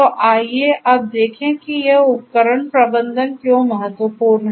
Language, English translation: Hindi, So, let us now look at why this device management is important